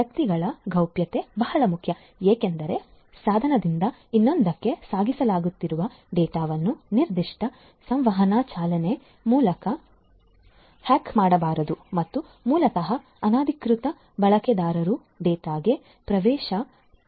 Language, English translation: Kannada, Privacy of the individuals is very important because the data that are being carried forward from one device to another through a particular communication channel should not be you know should not be hacked and you know so basically unauthorized users should not be able to get access to the data